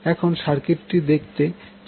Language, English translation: Bengali, So your circuit will become like this